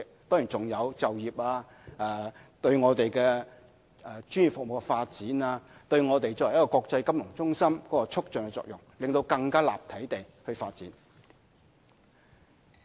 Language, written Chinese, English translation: Cantonese, 當然，好處還有就業、對專業服務發展、對我們作為國際金融中心的促進作用，讓我們更立體地發展。, Of course other benefits include providing employment and boosting the development of professional services and strengthening our status as the international financial centre thus making our development more multi - dimensional